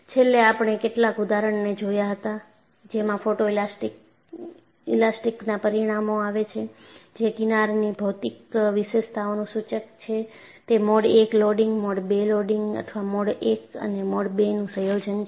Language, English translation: Gujarati, Finally, we have looked at some examples, wherein photo elastic results show, the geometric features of the fringe are indicative of whether it is a mode 1 loading, mode 2 loading or a combination of mode 1 and mode 2